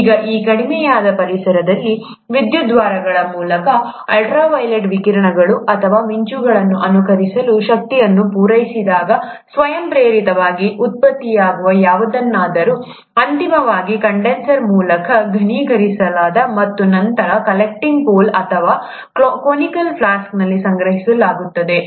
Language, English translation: Kannada, Now in this reduced environment, when the energy was supplied, to mimic ultra violet radiations or lightnings through electrodes, whatever was being spontaneously generated was then eventually condensed by the means of a condenser, and then collected at the collecting pole, or the collecting conical flask